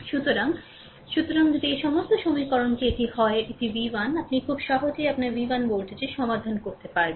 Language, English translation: Bengali, So, ah; so, if this all equation this is this is v 1, this is v 1, this is v 1, you can easily solve for voltage your v 1, right